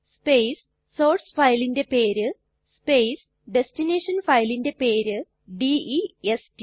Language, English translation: Malayalam, space the name of the SOURCE file space the name of the destination file DEST